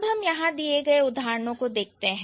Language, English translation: Hindi, So, let's look at the examples given over here